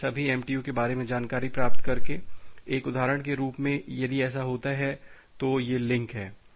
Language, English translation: Hindi, So, by getting the information about all the MTUs of the path, of the link in the path so, as an example if it happens that well, so, these are the links